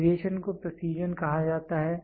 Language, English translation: Hindi, The variation is called as the precision